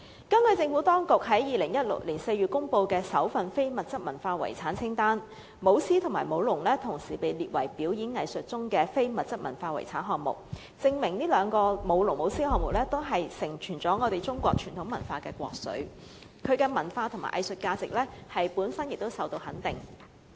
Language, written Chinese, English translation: Cantonese, 根據政府當局在2014年6月公布的首份非物質文化遺產清單，"舞獅"和"舞龍"同時被列為"表演藝術"中的非物質文化遺產項目，證明"舞龍"和"舞獅"項目也是承傳中國傳統文化的國粹的活動，其文化和藝術價值本身亦受到肯定。, According to the first intangible cultural heritage inventory list announced by the Administration in June 2014 both lion dance and dragon dance were incorporated into the intangible cultural heritage inventory list under performing arts . This proves that dragon dance and lion dance are traditional Chinese activities yielding a rich cultural heritage and their cultural and arts values are also duly acknowledged